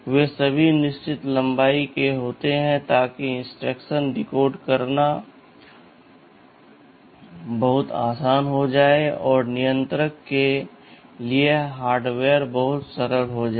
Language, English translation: Hindi, They are all of fixed length so that decoding of the instruction becomes very easy, and your the hardware for the controller becomes very simple ok